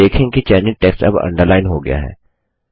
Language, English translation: Hindi, You see that the selected text is now underlined